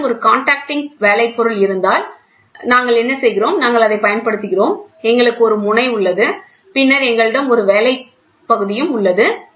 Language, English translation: Tamil, If you have a conducting work piece so, then what we do is, we use the same, we have a tip and then we have a work piece which goes